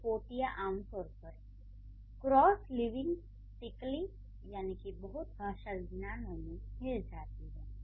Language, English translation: Hindi, And these items are generally found cross linguistically